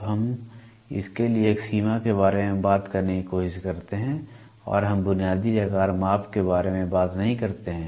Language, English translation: Hindi, So, we try to talk about a range for this and we do not talk are the basic size measurement we do not do